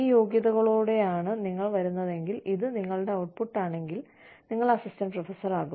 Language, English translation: Malayalam, If you come with these qualifications, and if this is your output, you are going to be assistant professor